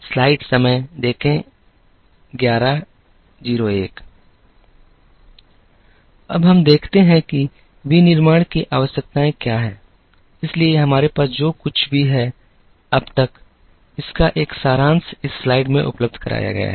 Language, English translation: Hindi, Now, let us look at what are the requirements of manufacturing, so whatever we have seen till now, a summary of that is provided in this slide